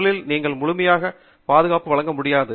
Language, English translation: Tamil, The first is that it does not provide you complete coverage